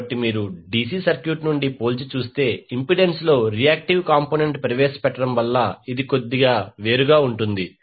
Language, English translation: Telugu, So, if you compare from the DC circuit this is slightly different because of the introduction of reactive component in the impedance